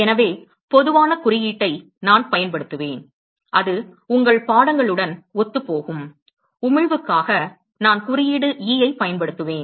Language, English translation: Tamil, So general symbol that I will use, which is consistent with your texts, for emission, I will use symbol E